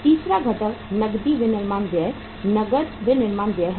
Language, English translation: Hindi, Third component is the cash manufacturing expenses, cash manufacturing expenses